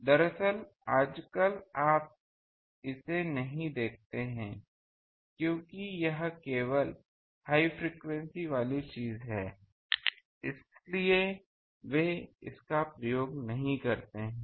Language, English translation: Hindi, Actually, in the nowadays you do not see because this is a cable thing because that is a more higher frequency things; so, they do not do